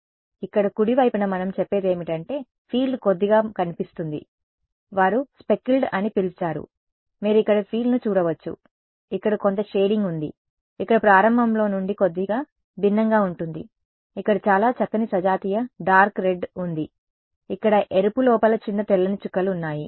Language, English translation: Telugu, So, that is what we say towards the right hand side over here the field looks a little what they called speckled you can see the field over here it has some the shading is slightly different from at the very beginning here is the very nice homogenous dark red here is a here there are little white dots inside the red